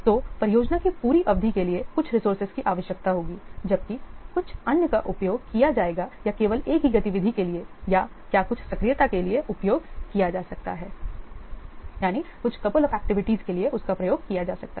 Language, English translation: Hindi, So, some of the resources will be required for the whole duration of the project whereas some others will be used or during will be used only for a single activity or a what couple of activities